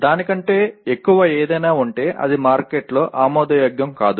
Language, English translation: Telugu, If it has anything more than that it will not be acceptable in the market